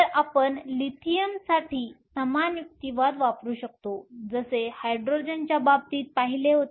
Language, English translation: Marathi, So, We can use the same argument for Lithium as in the case of Hydrogen